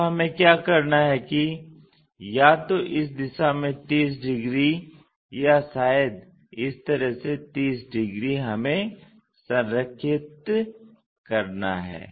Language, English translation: Hindi, So, what we have to do is either in this direction 30 degrees or perhaps in this in this way 30 degrees we have to align